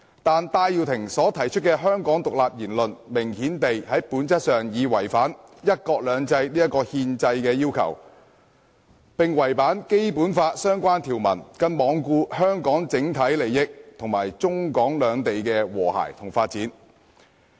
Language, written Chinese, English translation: Cantonese, 戴耀廷提出的香港獨立言論，明顯地在本質上已違反"一國兩制"這個憲制要求，並違反《基本法》的相關條文，更罔顧香港的整體利益及中港兩地的和諧與發展。, Benny TAIs remarks about independence of Hong Kong per se has clearly violated the constitutional requirement of one country two systems and relevant provisions of the Basic Law . He has also disregarded the overall interests of Hong Kong and the harmony and development between Hong Kong and China